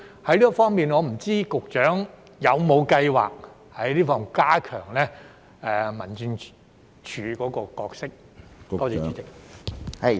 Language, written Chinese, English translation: Cantonese, 就這方面，我不知道局長有否計劃加強民政事務處的角色？, In this regard may I know whether the Secretary has any plans to enhance the role of the District Offices?